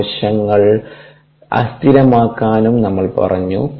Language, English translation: Malayalam, we also said that cells could be immobilized